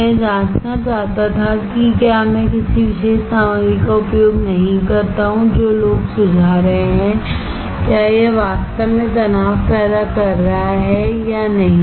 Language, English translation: Hindi, I wanted to check whether if I do not use a particular material what people are suggesting , whether it is really causing a stress or not